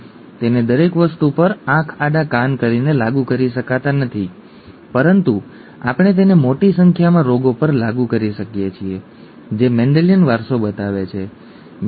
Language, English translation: Gujarati, We cannot apply it blindly to everything but we can apply it to large number of diseases that show Mendelian inheritance, okay